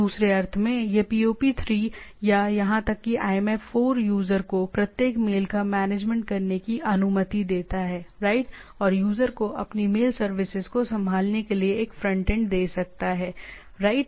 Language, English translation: Hindi, In other sense, this POP3 or even IMAP allows the user to manage each mail, right and can it is gives a frontend to the user to handle its mail services, right